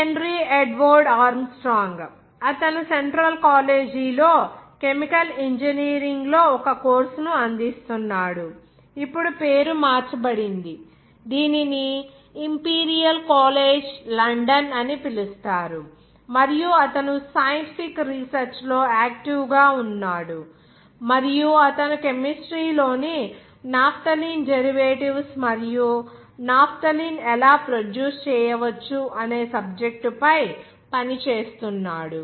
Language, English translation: Telugu, Henry Edward Armstrong, he offers a course in “chemical engineering” at Central College, now the name is changed it is called Imperial College London, and he was active in scientific research and he was working on the subject of the chemistry of naphthalene derivatives how to naphthalene can be produced